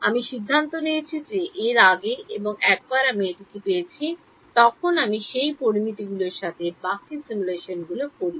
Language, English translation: Bengali, I decide that before and then once I obtain that then I do the rest of the simulations with those parameters